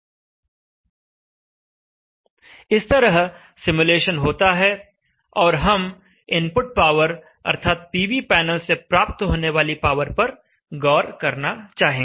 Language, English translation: Hindi, So the simulation goes through and we would like to observe the input power, the power out of the PV panel